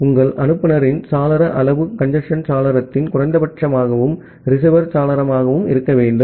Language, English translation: Tamil, So that way your sender window size should be the minimum of congestion window, and the receiver window